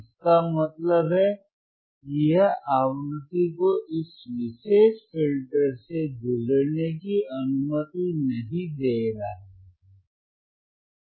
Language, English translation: Hindi, tThat means, that it is not allowing the frequency to pass through this particular filter pass through this particular filter